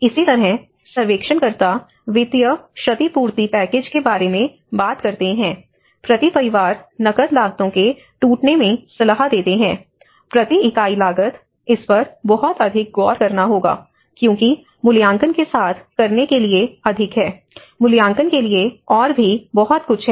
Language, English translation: Hindi, Similarly, the surveyors talk about financial compensation package, advise in the breakdown of cash costs per family, so per unit this much cost, this much one has to look at because there is more to do with evaluation, there is more to the assessment